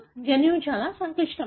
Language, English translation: Telugu, The genome is very complex